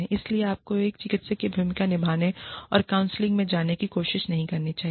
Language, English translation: Hindi, So, you should not, try to play the role of a therapist, and go into counselling